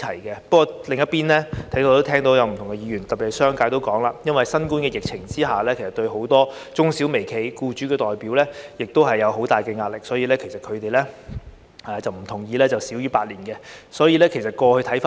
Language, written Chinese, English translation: Cantonese, 不過，另一方面，我在此亦聽到不同議員的意見，特別是商界提到因應對新冠疫情，很多中小微企和僱主代表也面對很大壓力，所以不同意以少於8年時間落實有關建議。, Nonetheless on the other hand I also heard different views from Members here . In particular the business sector mentioned that many representatives of micro small and medium enterprises and employers are facing huge pressure in tackling the novel coronavirus epidemic and do not agree to implement the proposal in less than eight years time